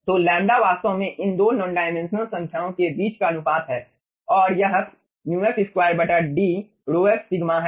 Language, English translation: Hindi, so lambda is actually the ratio between this 2 non dimensional numbers and it is values: mu, f square divided by d rhof into sigma